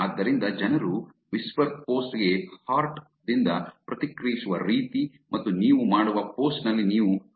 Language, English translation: Kannada, So, the way that people react to the post on whisper is by hearts and also you can chats on the post that you make